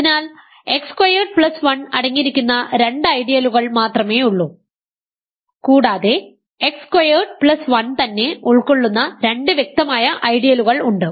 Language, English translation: Malayalam, So, there are only two ideals containing x squared plus 1 and there are two obvious ideals that contain x squared plus 1 right x squared plus 1 itself and R x there is no other ideals